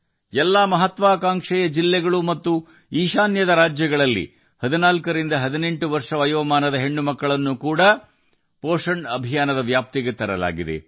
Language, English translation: Kannada, In all the Aspirational Districts and the states of the North East, 14 to 18 year old daughters have also been brought under the purview of the POSHAN Abhiyaan